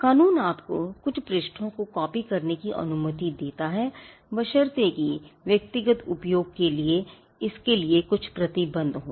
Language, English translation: Hindi, The law allows you to copy few pages provided there are certain restrictions to it for instance it is for personal use